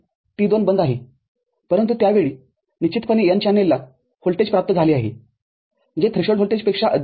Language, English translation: Marathi, T2 is off, but at that time definitely the n channel has got the voltage which is more than the threshold voltage